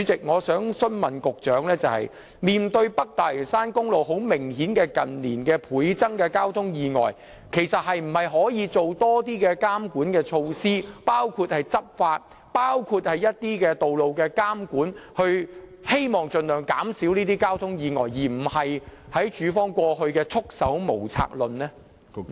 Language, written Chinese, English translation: Cantonese, 我想問局長，面對北大嶼山公路近年明顯倍增的交通意外，可否多做一些監管措施，包括執法工作及道路監管工作，以期盡量減少交通意外，而非像當局過往所說是束手無策呢？, My question to the Secretary is that since the number of traffic accidents on North Lantau Highway has obviously doubled in recent years can the authorities put in place any monitoring measures including enhancing the enforcement work and road monitoring work so as to hopefully reduce the number of traffic accidents instead of being at the end of their tethers as in the past?